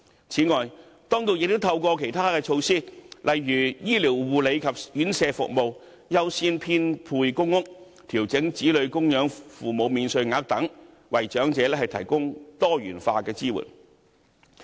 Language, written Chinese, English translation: Cantonese, 此外，當局亦透過其他措施，例如醫療護理及院舍服務、優先編配公屋、調整子女供養父母免稅額等，為長者提供多元化的支援。, In addition the Government also provides diversified support to the elderly through other measures such as medical care residential care services priority in public housing allocation and dependent parents tax allowance etc